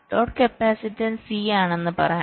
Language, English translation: Malayalam, lets say the load capacitance is c